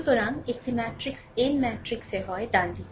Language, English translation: Bengali, So, a a matrix is n into n matrix, right